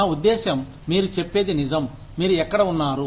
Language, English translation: Telugu, I mean, you are right, where you are